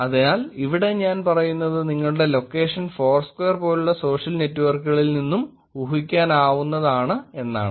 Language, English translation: Malayalam, So here I am saying that your location can be also inferred from the social networks like foursquare